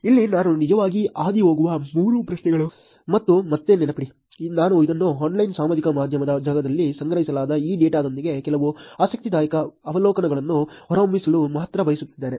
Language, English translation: Kannada, Here, three questions that I will actually go through and again please remember I am using this only to elicit, some interesting observations in the space of online social media with this data that was collected